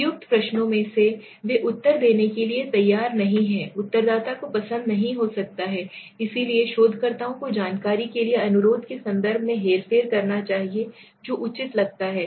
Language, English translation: Hindi, In appropriate questions also they are unwilling to answer, the respondent might not like, so the researchers should manipulate the context of the request for information s seems appropriate